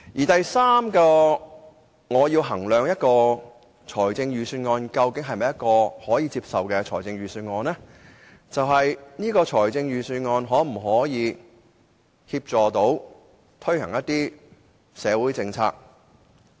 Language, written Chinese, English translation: Cantonese, 第三，當我衡量一份預算案是否可以接受時，我會考慮預算案可否協助推行社會政策。, Third in assessing the acceptability of a budget I will consider if it can assist in the implementation of social policies